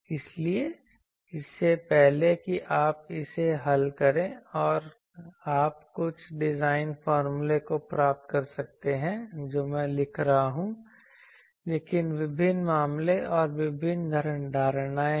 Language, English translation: Hindi, So, before that if you solve this, you can get some design formulas are given I am writing, but there are various cases various assumptions